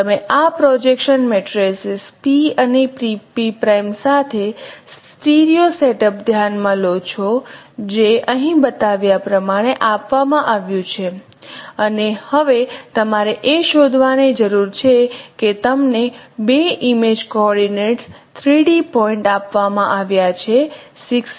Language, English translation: Gujarati, You consider a stereo setup with this projection matrices p and p prime which are given here as it is shown and now what you need to find out that you have been given two image coordinates 3d points are there 68 and 9